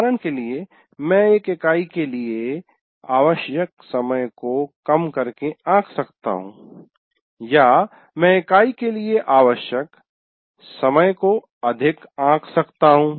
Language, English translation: Hindi, For example, I might be underestimating the time required for a unit or I have overestimated the time required for a unit and so on